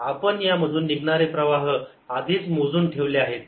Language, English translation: Marathi, we've already calculated the flux through this